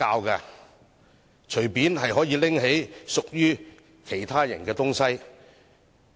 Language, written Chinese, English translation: Cantonese, 可以隨意拿起屬於其他人的東西嗎？, Can he take away things that belong to other people as he likes?